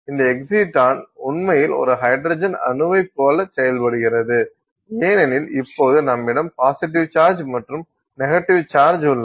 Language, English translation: Tamil, This excite on actually behaves somewhat like an hydrogen atom because you now have one positive charge and one negative charge